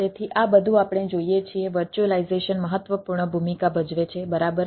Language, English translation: Gujarati, so all this, what we see is virtualization place important role right